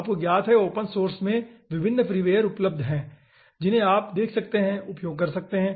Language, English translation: Hindi, there are different freeware available, you know, in open source, which you can see, use